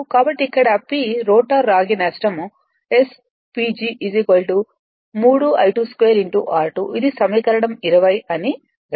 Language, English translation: Telugu, Therefore, here you can write p rotor copper loss S P G is equal to 3 I 2 dash square into r 2 dash this is equation 20